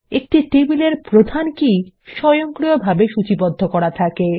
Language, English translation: Bengali, The primary key of a table is automatically indexed